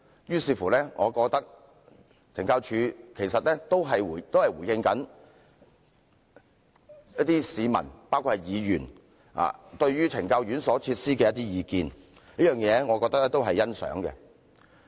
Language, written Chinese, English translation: Cantonese, 由此可見，懲教署其實也在回應市民對於懲教院所設施的一些意見，這點令我欣賞。, It is evident that CSD has actually responded to public views including those of Members on the facilities in correctional institutions . I appreciate this